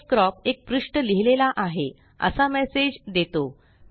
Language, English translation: Marathi, Pdfcrop says one page written on this file